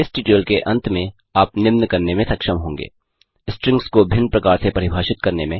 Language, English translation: Hindi, At the end of this tutorial, you will be able to, Define strings in different ways